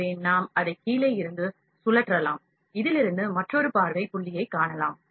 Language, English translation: Tamil, So, we can rotate it from the bottom here, we can see another view point from this